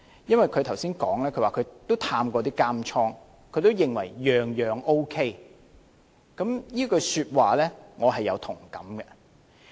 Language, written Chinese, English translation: Cantonese, 她剛才說她也探訪過監獄，也認為各方面都 OK， 這句說話我也有同感。, She said she had visited the prison and thought that it was all right in various aspects . And I share her view